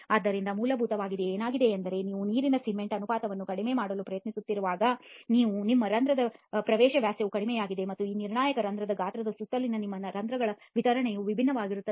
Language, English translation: Kannada, So essentially what has happened is when you are trying to reduce the water cement ratio your pore entry diameters have reduced and your distribution of the pores around this critical pore size are also different